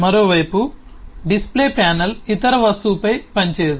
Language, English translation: Telugu, the display panel, on the other hand, does not operate on any other object